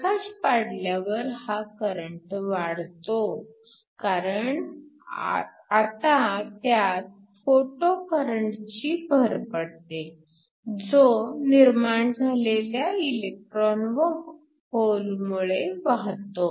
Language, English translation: Marathi, When we shine light this current is enhanced because we now have an additional photo current due to the electrons in holes that are generated